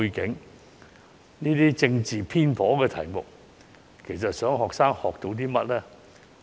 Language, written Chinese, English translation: Cantonese, 究竟討論這些政治偏頗的題目想學生學到些甚麼呢？, What were students expected to learn from these politically biased questions?